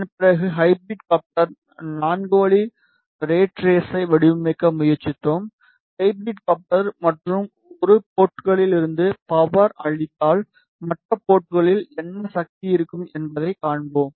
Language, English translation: Tamil, After that we tried to design the hybrid coupler 4 way rat race hybrid coupler and then we saw the performance if we feed power from one port what will be the power at other port